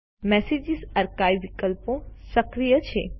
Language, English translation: Gujarati, The Message Archives options are enabled